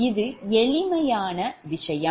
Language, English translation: Tamil, actually, it is simple thing